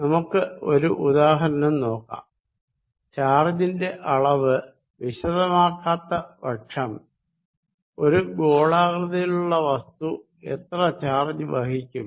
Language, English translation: Malayalam, Let us look at an example, so where you do not specify the charge, how much charge the spherical body carries